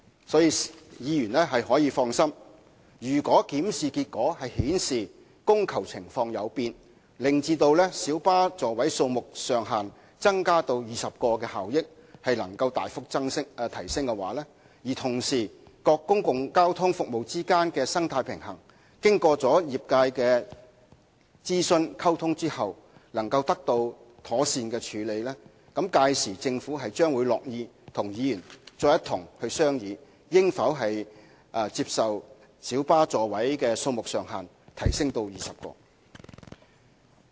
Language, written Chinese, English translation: Cantonese, 所以，議員大可放心，如果檢視結果顯示供求情況有變，令增加小巴座位數目上限至20個的效益能夠大幅提升，而同時各公共交通服務之間的生態平衡經與業界諮詢和溝通後能夠得到妥善處理，屆時政府將樂意和議員再一同商議應否把小巴座位數目上限增加至20個。, Members can thus rest assured . If the review findings indicate a change in demand and supply which will significantly raise the efficiency of an increase of the seating capacity to 20 and at the same time provided that the delicate balance amongst various public transport services can be properly handled after consulting and communicating with the trades then the Government will be pleased to discuss with Members again as to whether the maximum seating capacity should be increased to 20